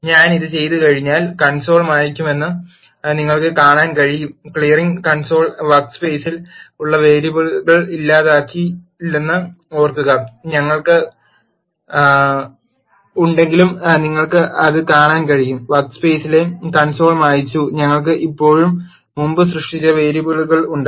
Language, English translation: Malayalam, Once I do this you can see that the console will get cleared remember clearing console will not delete the variables that are there in the workspace you can see that even though we have cleared the console in the workspace we still have the variables that are created earlier